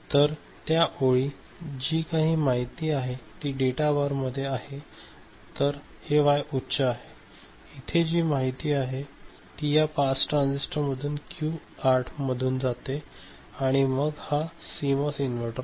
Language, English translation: Marathi, So, at that time whatever information is there here in the data bar so, this Y is high; so, this is you know getting passed by the pass transistor Q8 right and then this is a CMOS inverter